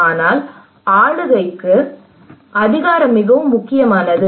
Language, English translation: Tamil, But for the governance power is very important